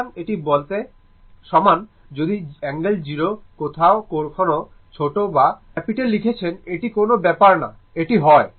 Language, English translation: Bengali, So, I is equal to say if we write I angle 0 sometimes we are writing small I or capital I it does not matter, this is your I right